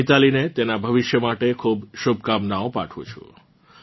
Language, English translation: Gujarati, I wish Mithali all the very best for her future